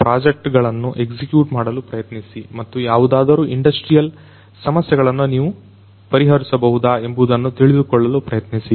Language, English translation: Kannada, And then try to execute projects and try to see whether you can address any of the industrial problems